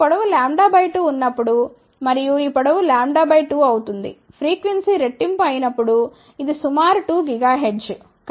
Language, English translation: Telugu, When this length is lambda by 2 and when this length will become lambda by 2, when the frequency is doubled which is approximately 2 gigahertz